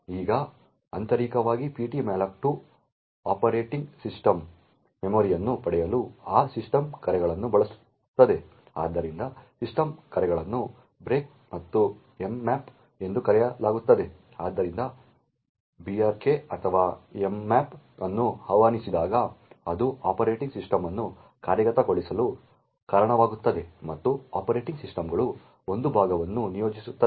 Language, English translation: Kannada, Now internally ptmalloc2 uses those systems calls to obtain memory from the operating system, so the system calls are known as brks and mmap, so whenever brk or mmap is invoked so it leads to the operating system getting executed and the operating systems would allocate a chunk of memory for that particular process